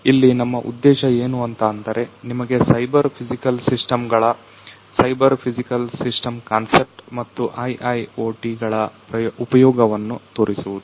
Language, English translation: Kannada, So, here actually what we intend to do is to show you the use of cyber physical systems, the concept of cyber physical systems and IIoT over here